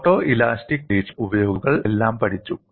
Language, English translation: Malayalam, People have studied all that using photo elastic experiments